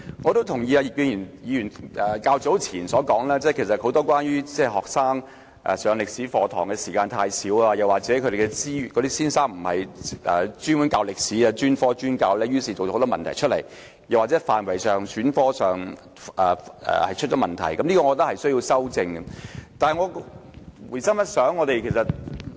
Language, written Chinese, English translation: Cantonese, 我同意葉建源議員較早前所說，中學教授中史科的時間太少，又或中史科教師並非專科專教，因而造成很多問題，又或是該科目的範圍和學生在選科上亦出現問題，這些問題均須予以糾正。, I agree with Mr IP Kin - yuens view that the teaching time for Chinese History is insufficient and that the subject is not taught by specialized Chinese History teachers giving rise to many problems . There are also problems concerning the scope of the subject and students choice of subjects . All these problems need to be rightly addressed